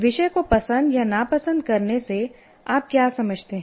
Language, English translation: Hindi, What do you mean by liking or disliking the subject